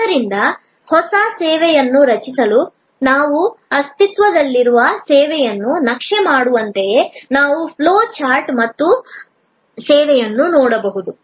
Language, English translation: Kannada, So, just as we can map an existing service to create a new service, we can look at the flow chart and debottleneck service